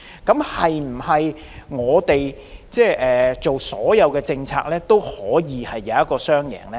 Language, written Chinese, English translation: Cantonese, 那我們制訂的所有政策，是否都能創造雙贏呢？, Then can the policies formulated by us all create win - win situations?